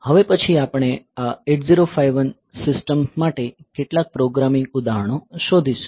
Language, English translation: Gujarati, So, next we will look into a few programming examples for this 8051 system